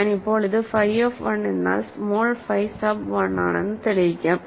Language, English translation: Malayalam, So, I am proving this now phi of 1 is phi small phi sub 1